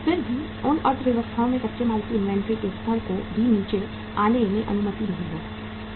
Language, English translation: Hindi, Still in those economies also level of inventory of raw material is never allowed to come down to 0